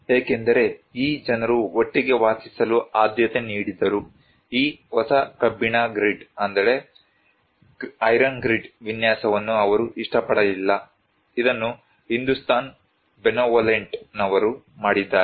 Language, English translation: Kannada, Because, these people preferred to live together, they did not like this new iron grid pattern of layout, it was done by the Hindustan Benevolent